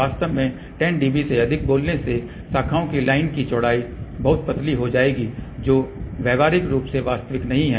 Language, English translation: Hindi, Actually speaking beyond 10 dB the line width of the branches line will become very very thin which are not practically realizable